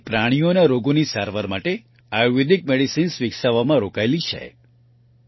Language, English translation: Gujarati, It is engaged in developing Ayurvedic Medicines for the treatment of animal diseases